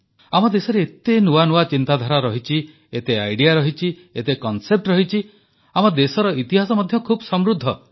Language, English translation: Odia, Our country has so many ideas, so many concepts; our history has been very rich